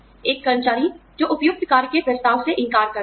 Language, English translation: Hindi, An employee, who refuses an offer of suitable work